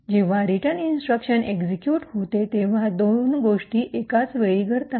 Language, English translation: Marathi, Now when the return instruction is executed there are two things that simultaneously occur